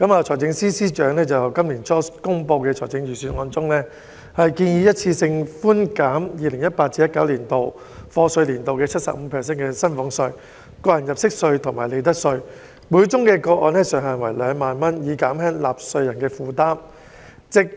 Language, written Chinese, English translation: Cantonese, 財政司司長在今年初公布的財政預算案中，建議一次性寬減 2018-2019 課稅年度 75% 薪俸稅、個人入息課稅及利得稅，每宗個案上限為2萬元，以減輕納稅人負擔。, In the Budget presented earlier this year the Financial Secretary proposed one - off reductions in salaries tax tax under personal assessment and profits tax for the year of assessment 2018 - 2019 by 75 % subject to a ceiling of 20,000 per case with a view to relieving taxpayers burden